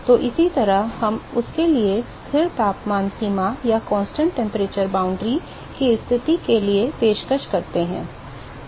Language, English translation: Hindi, So, similarly we offer for that for constant temperature boundary condition